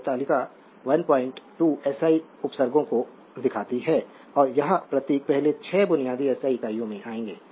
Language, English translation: Hindi, 2 shows SI prefixes and that symbols will come to that first this 6 basic SI units right